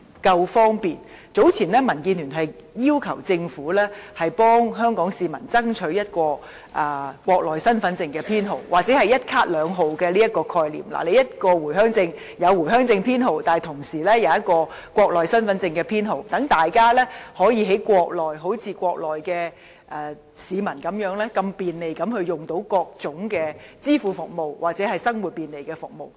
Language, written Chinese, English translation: Cantonese, 早前民主建港協進聯盟要求政府為香港市民爭取一個國內身份證編號，提出"一卡兩號"的概念，一張回鄉卡既有回鄉卡編號，同時亦有國內身份證編號，讓大家在國內可以好像國內市民般，便利地使用各種支付服務或便利生活的服務。, Earlier on the Democratic Alliance for the Betterment and Progress of Hong Kong DAB has requested the Government to strive for a Mainland identity card number for Hongkongers . We have proposed the concept of one card with two numbers under which a Home Visit Permit can carry both a Home Visit Permit number and a Mainland identity card number thereby enabling us to conveniently use various types of payment or facilitation services on the Mainland just like Mainland citizens